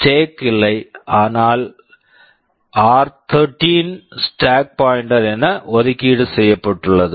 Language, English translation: Tamil, There is no stack, but r13 is earmarked as the stack pointer